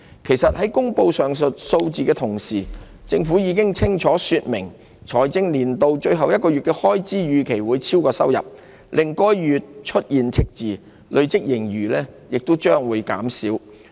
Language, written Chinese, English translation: Cantonese, 其實，在公布上述數字的同時，政府已清楚說明財政年度最後1個月的開支預期會超過收入，令該月出現赤字，累積盈餘將會減少。, In fact in announcing that figure the Government also made clear the expenditure in the last month of that financial year is expected to exceed revenue resulting in a deficit for the month and reducing the cumulative surplus